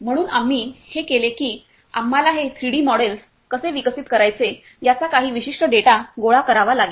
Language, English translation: Marathi, So, what we did is for this we have to collect some particular data how to develop these 3D models